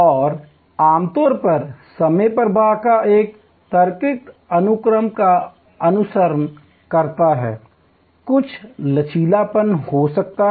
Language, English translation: Hindi, And usually the time flow follows a logical sequence, there can be some flexibility